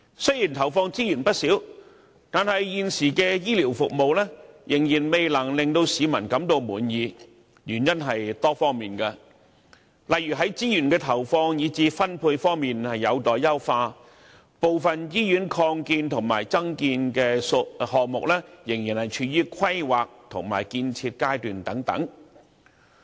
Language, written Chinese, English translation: Cantonese, 雖然投放資源不少，但現時的醫療服務仍未能令市民滿意。原因是多方面的，例如資源的投放，以至分配方面有待優化，部分醫院擴建和增建項目仍處於規劃和建設階段等。, Despite the huge resources injected the existing healthcare services still fall short of public expectation due to various reasons such as the facts that resources deployment and allocation are pending enhancement and that expansion projects of some hospitals are still under planning and construction